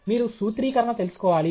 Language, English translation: Telugu, You should know the formulation